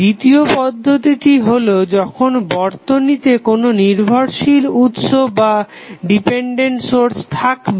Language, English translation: Bengali, Second case would be the case when network has dependent sources